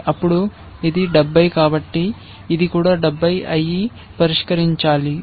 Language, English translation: Telugu, Yes because this was 70, this also should be 70 and solved